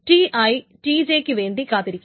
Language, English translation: Malayalam, I is waiting for TJ